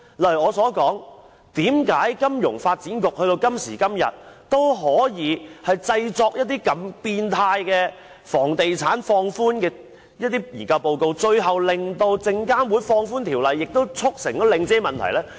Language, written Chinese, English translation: Cantonese, 例如我提出，為何金發局到了今時今日，也可以製作放寬房地產如此扭曲的研究報告，最後令證券及期貨事務監察委員會放寬條例，促成領展的問題呢？, For example how could FSDC come up with such a twisted study report in favour of the real estate sector? . Because of this the rules concerned were finally relaxed by the Securities and Futures Commission which attributed to the problems related to the Link